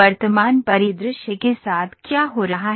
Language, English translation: Hindi, With the present scenario what is happening